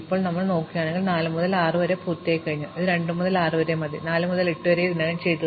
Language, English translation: Malayalam, So, now we look and see that 4 to 6 is already done, not 4 to 6, 4 to 8 is already done